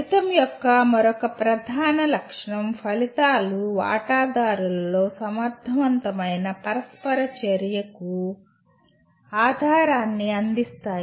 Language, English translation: Telugu, And the another major feature of outcome is outcomes provide the basis for an effective interaction among stakeholders